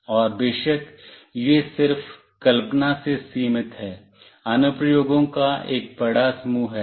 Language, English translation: Hindi, And of course, it is limited just by imagination, there is a huge set of applications